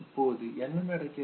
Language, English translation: Tamil, Now what happens